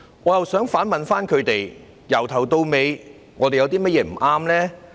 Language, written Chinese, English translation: Cantonese, 我想反問他們，由始至終，我們有甚麼不對呢？, In response may I ask them what wrong we have done in the whole course?